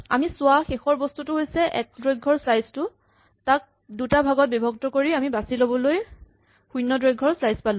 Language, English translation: Assamese, The last thing we look at was the slice of length 1 and we divided it into 2 and we got a select of slice of length 0